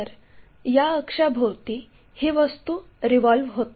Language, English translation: Marathi, So, this revolving objects is about this axis